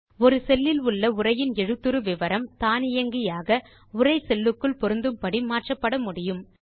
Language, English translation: Tamil, The font size of the data in a cell can be automatically adjusted to fit into a cell